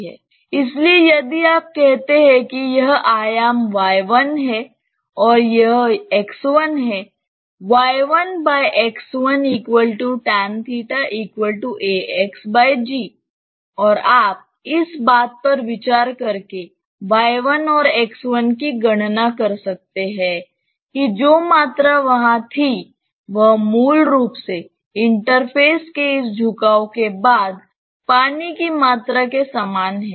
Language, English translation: Hindi, So, if you say that this dimension is say y 1 and this is x 1, then you have y 1 by x 1 as tan theta and that is equal to ax by g and you can calculate y 1 and x 1 by considering that the volume which was there originally is same as the volume of water after this tilting of the interface